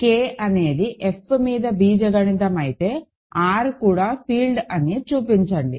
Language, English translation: Telugu, If K is algebraic over F, show that R is also a field, ok